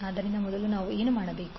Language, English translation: Kannada, So first what we have to do